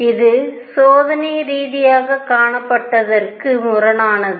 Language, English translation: Tamil, This is contradiction to what was observed experimentally